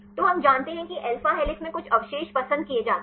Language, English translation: Hindi, So, we know that some residues are preferred in alpha helix